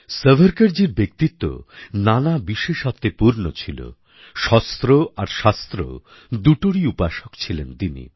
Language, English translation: Bengali, Savarkar ji's personality was full of special qualities; he was a worshipper of both weapons or shashtra and Knowledge or shaashtras